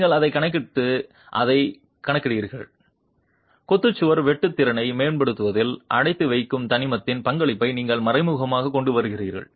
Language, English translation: Tamil, You are accounting for that and by accounting for that you are implicitly bringing in the contribution of the confining element in the improvement of the share capacity of the masonry wall